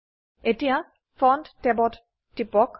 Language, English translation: Assamese, Click on Font tab